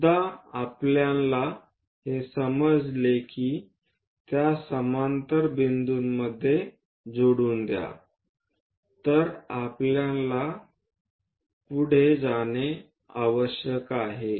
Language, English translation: Marathi, Once we know that join these points parallel to that, we have to go